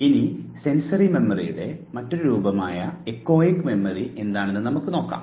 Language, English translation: Malayalam, Let us now move to the other form of sensory memory that is echoic memory